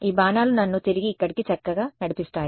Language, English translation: Telugu, These arrows will nicely guide me back in over here